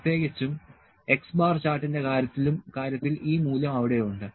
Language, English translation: Malayalam, Specifically, in case of x bar chart this value is there